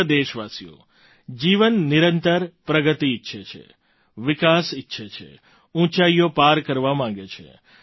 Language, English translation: Gujarati, life desires continuous progress, desires development, desires to surpass heights